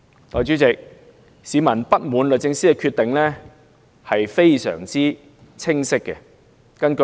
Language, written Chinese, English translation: Cantonese, 代理主席，市民不滿律政司的決定，是非常清晰的。, Deputy President people are clearly discontented with DoJs decision